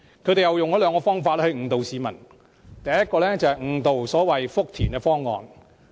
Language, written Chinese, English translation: Cantonese, 他們用了兩個方法誤導市民，第一個是誤導所謂福田口岸的方案。, They have misled the public in two ways . First they advocate the so - called proposal to set up customs and clearance facilities in the Futian Station instead